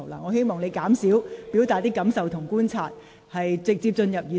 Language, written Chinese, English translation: Cantonese, 我希望你減少表達你的感受和觀察，請直接進入議題。, And then you express some feelings . I hope you will say less about your feelings and observation and get on to the subject direct